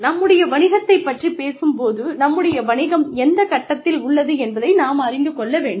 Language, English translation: Tamil, When we talk about our business, we need to know, what stage our business is at